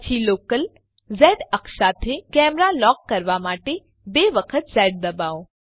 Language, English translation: Gujarati, Then press Z twice to lock the camera to the local z axis